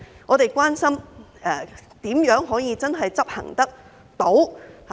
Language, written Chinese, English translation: Cantonese, 我們關心的是如何能真正執行得到。, Our concern is how it can be implemented in practice